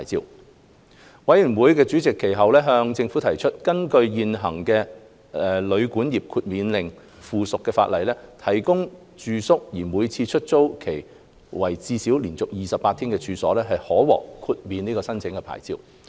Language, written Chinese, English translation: Cantonese, 法案委員會主席其後向政府提出，根據現行的《旅館業令》附屬法例，提供住宿而每次出租期為至少連續28天的處所，可獲豁免申請牌照。, The Chairman of the Bills Committee has however pointed out to the Government that under the Hotel and Guesthouse Accommodation Exclusion Order an existing subsidiary legislation premises in which accommodation is exclusively provided on the basis of a minimum period of 28 continuous days for each letting are exempt from licensing